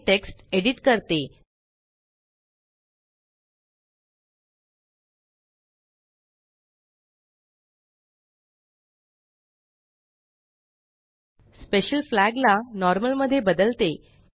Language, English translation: Marathi, Let me edit the text, change the Special Flag to normal